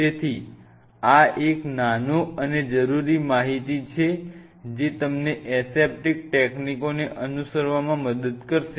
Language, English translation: Gujarati, So, these are a small bits and pieces of information’s which will help you to follow the aseptic techniques